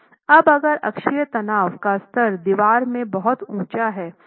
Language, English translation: Hindi, Now, if the level of axial stress in the wall is very high, okay